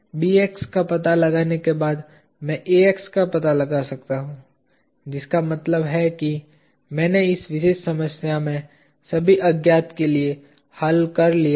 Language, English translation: Hindi, Having found out Bx I can found out Ax which means I have solved for all the unknowns in this particular problem